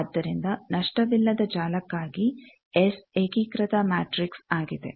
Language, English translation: Kannada, So, for a lossless network, S is unitary matrix